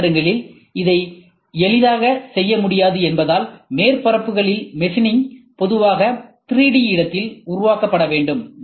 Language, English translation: Tamil, Since, this cannot be easily done in CNC machines, machining of surfaces must normally be generated in 3D space